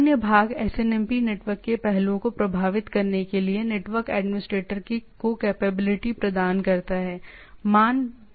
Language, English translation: Hindi, The other part is SNMP provides the capability of the network administrator to affect aspects of the with the network